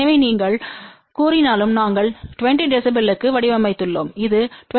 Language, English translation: Tamil, So, even though you may say we had designed for 20 db this is 20